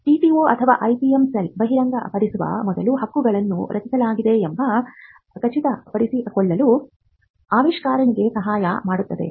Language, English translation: Kannada, The TTO or the IPM cell would help an inventor to ensure that the rights are protected before a disclosure is made